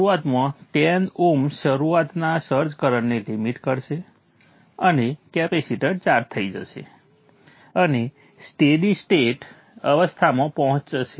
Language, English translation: Gujarati, So initially the 10 oms will limit the startup search current and the capacitor will get charged and reach a steady state